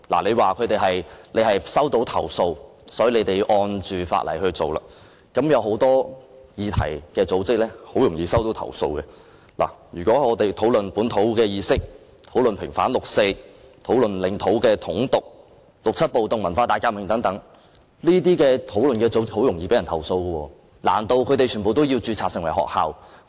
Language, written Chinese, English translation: Cantonese, 政府說是收到投訴，因此根據法例執法，但是，有很多組織很容易遭到投訴，例如討論本土意識、平反六四、領土的統獨、六七暴動或文化大革命等議題的組織，難道它們全部都要註冊成為學校？, The Government said it enforced the law in accordance with the legislation upon receipt of complaints . However many organizations are prone to becoming targets of complaint such as those discussing topics like indigenousness vindication of the 4 June Incident unification or independence of territory the 1967 riots the Cultural Revolution etc . Are they all required to be registered as schools?